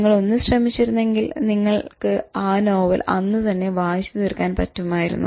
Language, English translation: Malayalam, If only you sat through continuously, you could have finished that novel